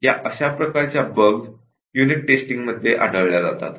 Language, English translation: Marathi, So, what is a bug that will be detected during unit testing